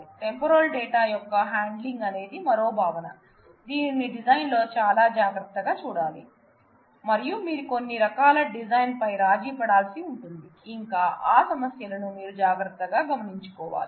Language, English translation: Telugu, So, handling of temporal data is another aspect which will have to be looked into very carefully, in the design and you will need to do some kind of design compromise and implementation has to take care of those issues